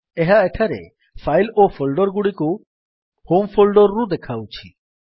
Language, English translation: Odia, So here it is displaying files and folders from home folder